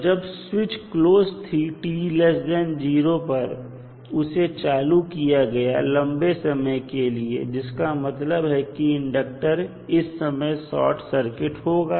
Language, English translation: Hindi, So, when switch is closed for time t less than 0 and it was switched on for sufficiently long time it means that the inductor was short circuited